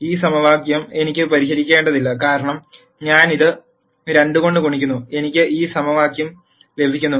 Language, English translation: Malayalam, I do not have to solve this equation, because I multiply this by 2 I get this equation